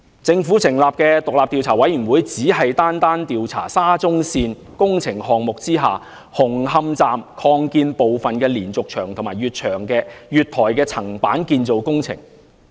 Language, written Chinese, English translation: Cantonese, 政府成立的獨立調查委員會，只是單單調查沙中線工程項目下紅磡站擴建部分的連續牆及月台的層板建造工程。, The Commission set up by the Government would merely inquire into the diaphragm wall and platform slab construction works at the Hung Hom Station Extension under the SCL Project